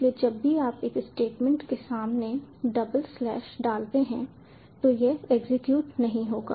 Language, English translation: Hindi, so whenever you put double slash in front of a statement, it wont execute